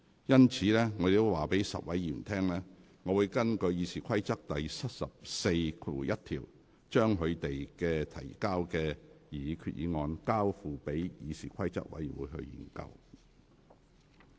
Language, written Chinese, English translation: Cantonese, 因此，我告知該10位議員，我會根據《議事規則》第741條，將你們提交的上述擬議決議案，交付議事規則委員會研究。, I had therefore informed those 10 Members that I would refer their proposed resolutions to CRoP for examination in accordance with RoP 741